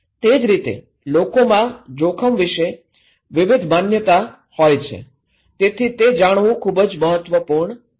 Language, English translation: Gujarati, Like, so people have different perceptions about risk, so that’s why it is very important to know